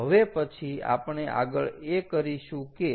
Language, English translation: Gujarati, so what we will do is so